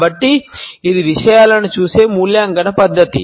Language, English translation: Telugu, So, it is an evaluatory manner of looking at things